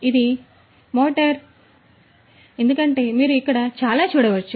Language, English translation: Telugu, So, this is this motor right, this is this motor as you can see over here like this all